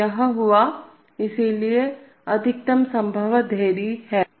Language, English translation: Hindi, So it occurred, so there is a maximum possible delay